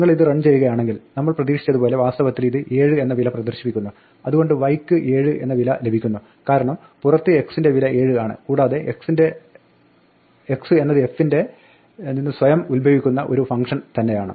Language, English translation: Malayalam, If you run this, then indeed it prints the value 7 as we expect, so y gets the value 7 because the x has the value 7 outside and that x is inherited itself a function from inside f